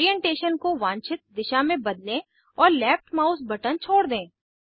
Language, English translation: Hindi, Change orientation in the desired direction and release the left mouse button